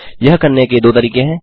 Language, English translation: Hindi, There are two ways of doing it